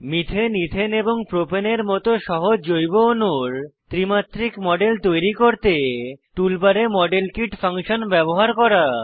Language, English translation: Bengali, * Use the Modelkit function in the Tool bar to create 3D models of simple organic molecules like Methane, Ethane and Propane